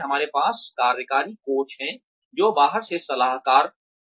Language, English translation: Hindi, We have executive coaches, which are outside consultants